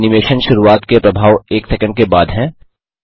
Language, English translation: Hindi, This has the effect of starting the animation after one second